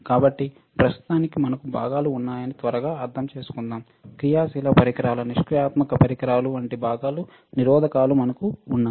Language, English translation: Telugu, So, for now let us quickly understand that we have components, we have resistors like components like active devices passive devices